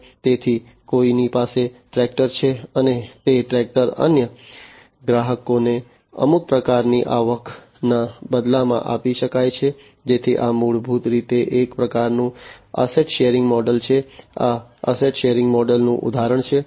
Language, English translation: Gujarati, So, somebody owns the tractor and that tractor can be given in exchange of some kind of revenue to the other customers, so that this is basically a kind of asset sharing model, this is an example of an asset sharing model